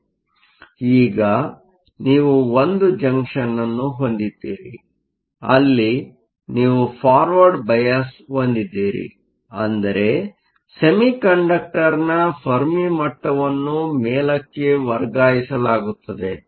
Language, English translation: Kannada, But now, we have a junction where you have a forward bias, which means the Fermi level of the semiconductor will be shifted up